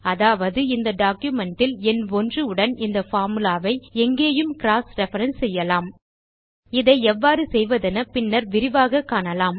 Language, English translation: Tamil, Meaning, we can cross reference this formula with the number 1 anywhere in this document we will learn the details of how to do this later